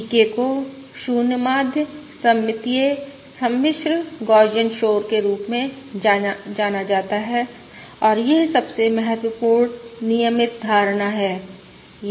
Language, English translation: Hindi, VK is known as a 0 mean symmetric, complex Gaussian noise, and this is the most important frequent assumption